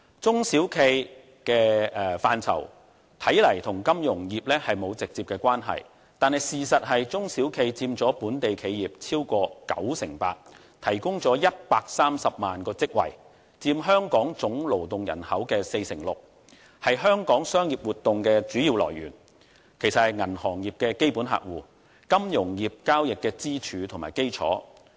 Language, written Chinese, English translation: Cantonese, 中小企的範疇與金融業看似沒有直接關係，但事實是，中小企佔本地企業超過 98%， 提供了130萬個職位，佔香港總勞動人口 46%， 是香港商業活動的主要來源，也是銀行業的基本客戶，金融業交易的支柱和基礎。, But the fact is that SMEs account for more than 98 % of local businesses and provide 1.3 million job opportunities making up 46 % of the total workforce of Hong Kong . SMEs are the major source of Hong Kong business activities . They are the basic clients of the banking industry and the pillars and foundations of Hong Kongs financial transactions